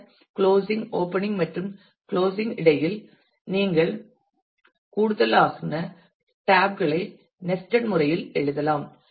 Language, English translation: Tamil, And then between the closing opening and the closing you can write more tabs in a nested manner